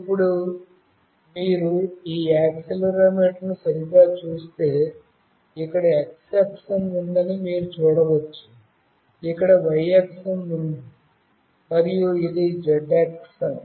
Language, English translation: Telugu, Now, if you see this accelerometer properly, you can see there is x axis here, here is the y axis, and this is the z axis